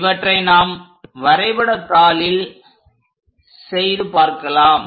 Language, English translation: Tamil, Let us do that these steps on a graphical sheet